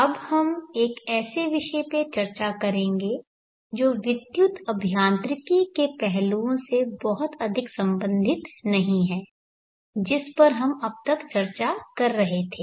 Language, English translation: Hindi, We shall now discuss on a topic that is not very much related to the electrical engineering aspects that we have been discussing till now